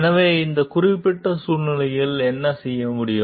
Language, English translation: Tamil, So, what can be done in this particular situation